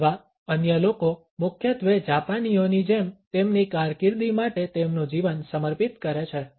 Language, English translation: Gujarati, Or others mainly dedicate their lives for their career like the Japanese